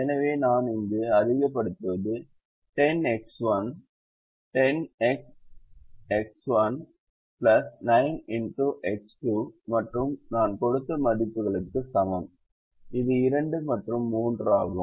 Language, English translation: Tamil, so what i am maximizing here is equal to ten x one, ten into x one plus nine into x two